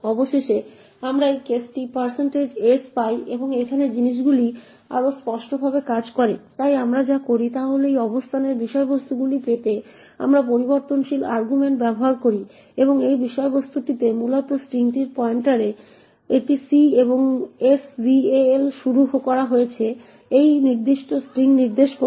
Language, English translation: Bengali, Finally we get this case % s and here things work a bit more definitely, so what we do is we use variable argument to get this contents of this location c and this content is essentially the pointer to the string this is c and sval is initialised to point to this particular string